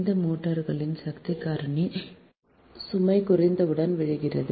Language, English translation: Tamil, the power factor of these motors falls with the decrease of load